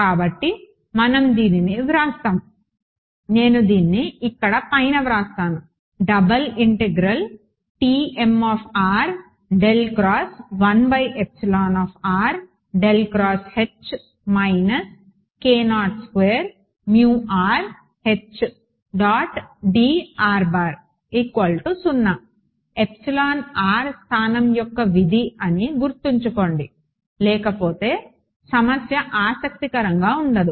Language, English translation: Telugu, So, let us write this out I just write this on the top over here T m remember epsilon r is a function of space otherwise the problem is not interesting ok